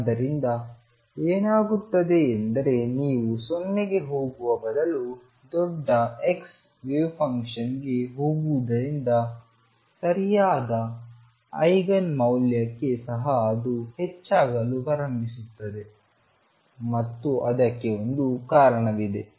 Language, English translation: Kannada, So, what happens is as you go to large x a wave function rather than going to 0 even for the right eigenvalue it starts blowing up and there is a reason for it